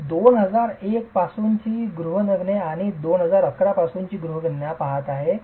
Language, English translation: Marathi, I am looking at the housing census from 2001 and the housing census from 2011